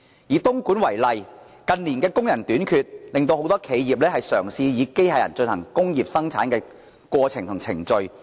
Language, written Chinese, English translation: Cantonese, 以東莞為例，近年工人短缺，很多企業也嘗試以機械人進行工業生產。, Take Dongguan as an example the shortages of labour in recent years have rendered many enterprises to try using robots as a replacement for manpower